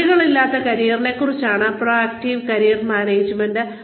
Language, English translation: Malayalam, Proactive Career Management is about boundaryless careers